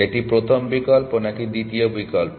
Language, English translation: Bengali, A first option or the second option